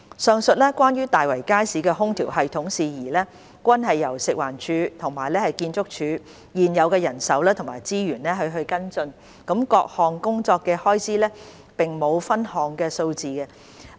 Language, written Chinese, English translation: Cantonese, 上述關於大圍街市空調系統的事宜，均由食環署和建築署現有的人手及資源跟進，各項工作的開支並無分項數字。, The above issues relating to the air - conditioning system of the Market are followed up by FEHD and ArchSD with their existing manpower and resources and there is no further breakdown of the costs of the individual tasks